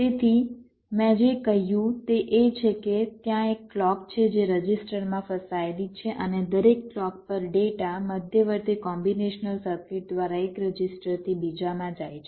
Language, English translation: Gujarati, so what i said is that there are, there is a clock which is spread to the registers and at every clock, data shifts from one register to the next through the, through the intermediate combinational circuit